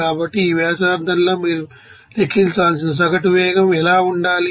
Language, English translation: Telugu, So, at this radius what should be the average velocity that you have to calculate